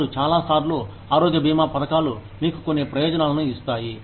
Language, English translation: Telugu, Now, a lot of times, health insurance schemes, give you some benefits